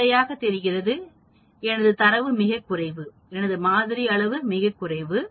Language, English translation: Tamil, Obviously my data is too little my sample size is too little that I may miss out